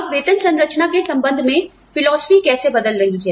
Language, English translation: Hindi, Now, how are philosophies, regarding pay systems changing